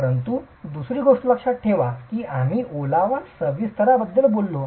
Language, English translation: Marathi, But the other thing is, remember we talked about moisture expansion